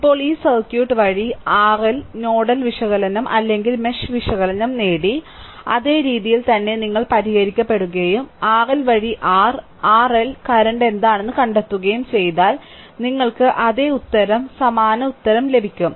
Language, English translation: Malayalam, Now, this circuit, the way we have earlier learned nodal analysis or mesh analysis, same way you solve and find out what is the your what you call R R L current through R L, you will get the same answer, identical answer right